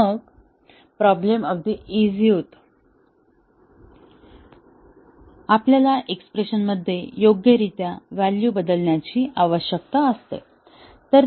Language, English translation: Marathi, Then, the problem becomes very simple; we need to just substitute the values appropriately into the expression